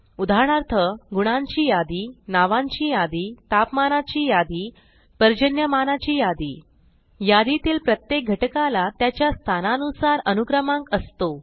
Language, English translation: Marathi, For example, a list of marks, a list of names, a list of temperatures, a list of rainfall, Each item has an index based on its position